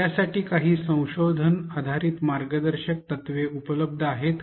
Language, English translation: Marathi, Is there any research based guidelines available for this